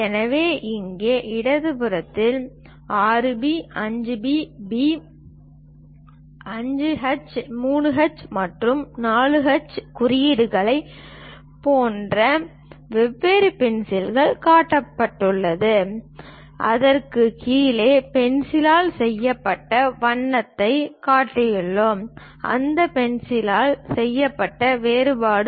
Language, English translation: Tamil, So, here on the left hand side, we have shown different pencils like 6B, 5B, B, maybe 5H, 3H, and 4H notations; below that we have shown the color made by the pencil, the contrast made by that pencil